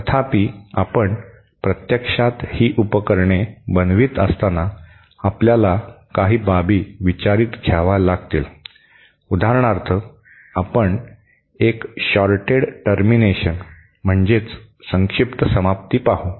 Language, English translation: Marathi, However, when you are actually making these devices, we have to take into account some aspects, for example, let us see a shorted termination